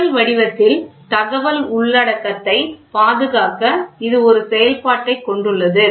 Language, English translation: Tamil, It has a function also to preserve the information content in the original form